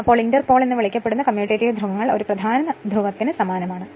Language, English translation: Malayalam, Then commutative poles commutating poles also called inter pole is similar to a main pole